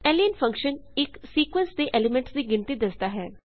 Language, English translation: Punjabi, len function gives the no of elements of a sequence